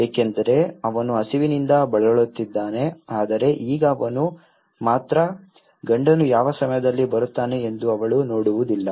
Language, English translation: Kannada, Because he will be starving but now he can only, she cannot see whether the husband is coming at what time is coming